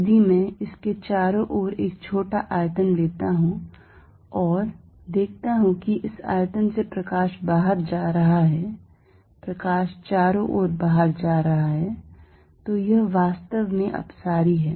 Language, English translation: Hindi, If I take a small volume around it and see the light going out of this volume all over the light is going out, so this is really divergent